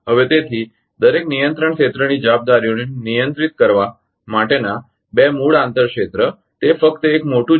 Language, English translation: Gujarati, So, therefore, the two basic inter area regulating responsibilities of each control area are just its a big one